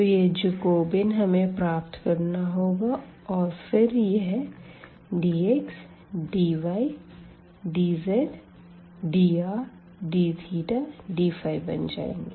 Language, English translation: Hindi, So, that Jacobian we need to compute and then our dx dy dz will become dr d theta and d phi